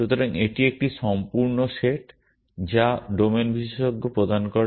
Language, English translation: Bengali, So, this is a whole set which the domain expert provides